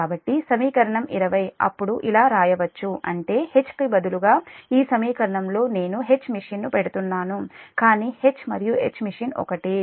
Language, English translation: Telugu, so equation twenty then can be written as that means this equation instead of instead of h, i am putting h machine, but h and h machine, it is same, just the multi machine system